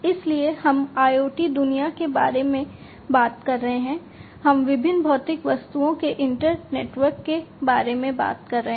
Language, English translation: Hindi, So, we have we are talking about in the IoT world, we are talking about an internetwork of different physical objects right so different physical objects